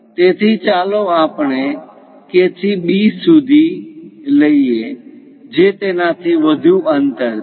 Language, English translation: Gujarati, So, let us pick from K to B, a distance greater than that